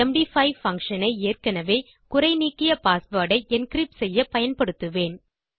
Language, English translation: Tamil, I will use the md5 Function to encrypt the already striped version of my password